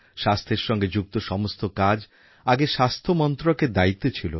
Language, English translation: Bengali, Earlier, every aspect regarding health used to be a responsibility of the Health Ministry alone